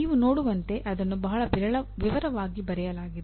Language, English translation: Kannada, As you can see it is very, it is written in a great detail